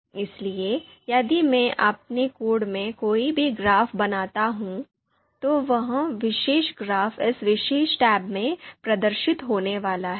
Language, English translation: Hindi, So if I happen to create any graph in my code that particular graph is going to be you know that particular graphic is going to be display displayed in this particular tab